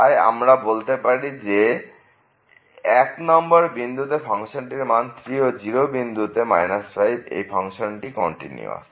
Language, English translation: Bengali, So, at 1 the value is 3 and the 0 the value is minus 5 and function is continuous